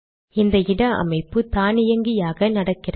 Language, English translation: Tamil, This placement is done automatically